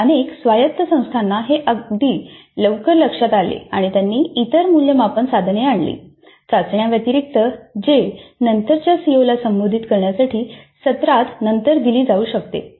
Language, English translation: Marathi, So, several autonomous institutes realize this very early and they brought in other assessment instruments other than tests which could be administered later in the semester to address the later COS